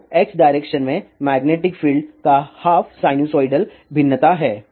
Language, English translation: Hindi, So, there is a half sinusoidal variation of magnetic field in the X direction